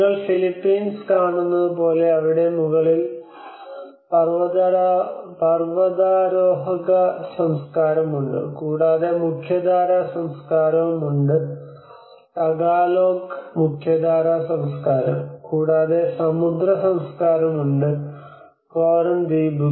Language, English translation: Malayalam, Like if you see the Philippines, you have the mountaineers culture on the top, and you have the mainstream culture The Tagalog mainstream culture, and you have the sea culture which is the Coran islands